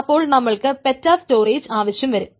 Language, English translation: Malayalam, So you will require petabyte storage